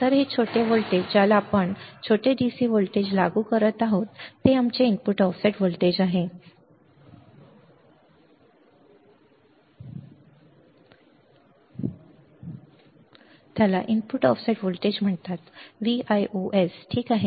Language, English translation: Marathi, So, this small voltage that we are applying this small DC voltage is our input offset voltage is called input offset voltage is denoted by V ios, V ios, all right, good